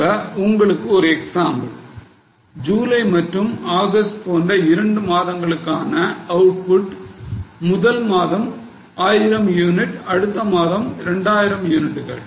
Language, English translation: Tamil, Now for two months, let us say July and August, for first month the units are 1000, for next month it is 2000